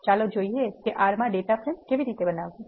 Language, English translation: Gujarati, Let us see how to create a data frame in R